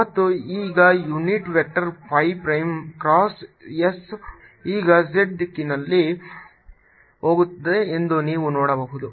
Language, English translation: Kannada, and now you can see that unit vector, phi prime cross s is going to be in the z direction, going into